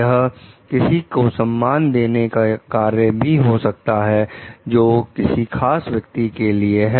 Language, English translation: Hindi, It could be an act of respect also shown to that particular person